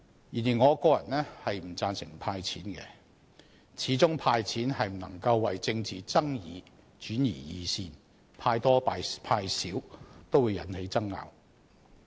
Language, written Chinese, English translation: Cantonese, 然而，我個人不贊成"派錢"，始終"派錢"不能為政治爭議轉移視線，派多派少也會引起爭拗。, After all cash handouts cannot divert attention on political disputes and controversies will ensue regardless of the amount dished out